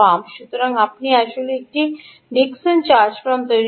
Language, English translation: Bengali, you have actually built a dickson charge pump